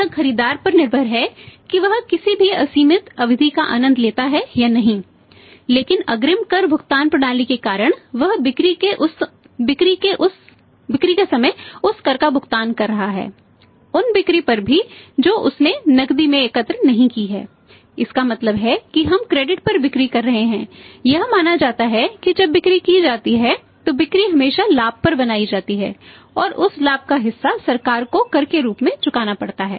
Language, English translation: Hindi, It is up to the buyer whether you also enjoy any unlimited period or not but because of the advance tax payment system he is paying that tax on the point of sales on those sales also which he has not collected in cash it means when we are selling on credit it is assumed that the sales are made when the sale are made sales are always made on profit, profit is also earned and the part of that profit has to be paid to the government as a tax